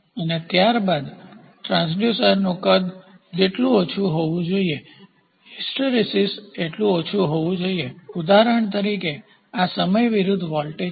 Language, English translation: Gujarati, And then size the transducer size should be as small as possible hysteresis possess should possess low or no what is hysteresis for example, this is voltage versus time